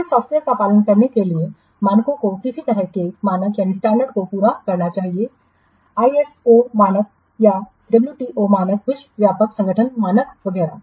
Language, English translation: Hindi, Then standards to be adhered to the software must meet which kind of standard ISO standard or that WTO standard, what trade organization standard etc